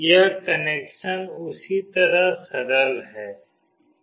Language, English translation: Hindi, The same way this connection is straightforward